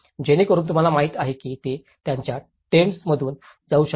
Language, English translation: Marathi, So that, you know they can move with their tents